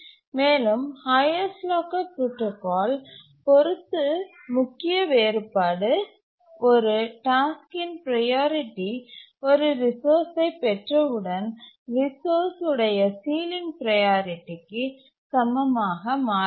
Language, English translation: Tamil, And the main difference with respect to the highest locker protocol is that a task's priority does not become equal to the ceiling priority of the resource as soon as it acquires a resource